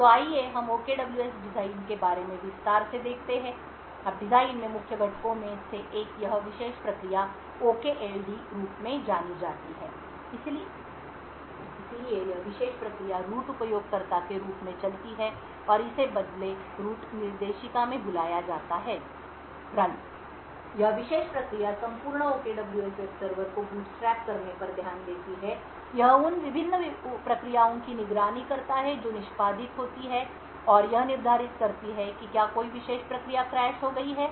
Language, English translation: Hindi, So let us look a little more in detail about the OKWS design, now one of the main components in the design is this particular process known as the OKLD, so this particular process runs as a root user and it runs in a change root directory called run, this particular process takes care of bootstrapping the entire OKWS web server, it monitors the various processes which are executed and it determines if a particular process has crashed